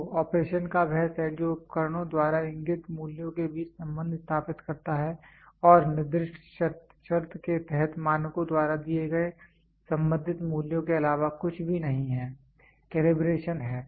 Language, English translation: Hindi, So, the set of operation that establish the relationship between values indicated by instruments and corresponding values given by standards under specified condition is nothing but calibration